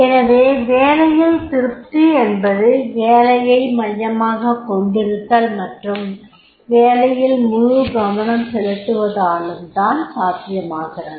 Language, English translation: Tamil, So therefore the job satisfaction is there because of the job centricity, job concentration